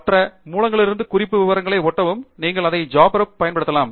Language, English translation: Tamil, You have to copy paste the reference detail from some other source, you can do it from JabRef also